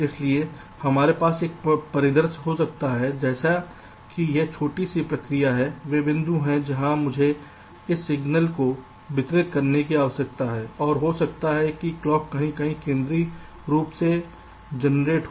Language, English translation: Hindi, so we can have a scenario like where this small process are the points where i need to distribute this signal and may be the clock is generated somewhere centrally